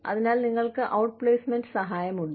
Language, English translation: Malayalam, So, you know, you have outplacement assistance